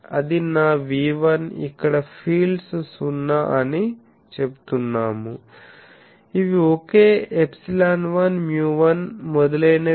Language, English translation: Telugu, So, this is my V1 so I say fields are now 0 0 these are same epsilon 1 mu 1 etc